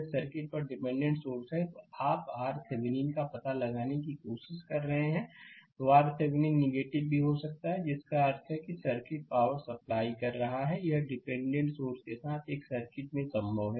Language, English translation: Hindi, If the circuit has dependent sources and you trying to find out R Thevenin, so R Thevenin may become negative also in; that means, the circuit actually is your what you call that supplying power and this is possible in a circuit with dependent sources